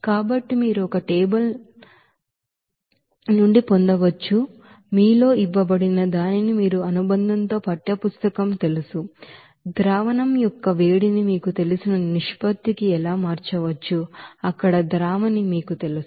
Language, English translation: Telugu, So you can get it from a table what is given in your you know textbook there in the appendix that how heat of solution can be changed to the ratio of you know, solid to you know solvent there